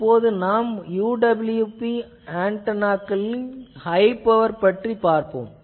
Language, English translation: Tamil, Now, first we will see the high power UWB antennas